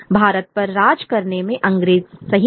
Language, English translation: Hindi, The British are right in ruling India